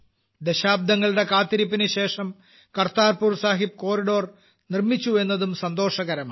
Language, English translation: Malayalam, It is equally pleasant to see the development of the Kartarpur Sahib Corridor after decades of waiting